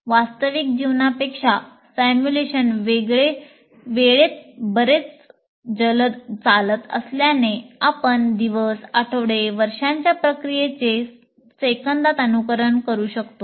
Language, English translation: Marathi, As simulation can run through time much quicker than real life, you can simulate days, weeks or years of a process in seconds